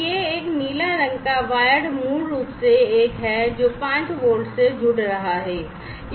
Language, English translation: Hindi, So, this one this blue coloured wired is basically the one, which is connecting to the 5 volt right